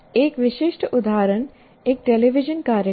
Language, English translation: Hindi, Typical example is a television program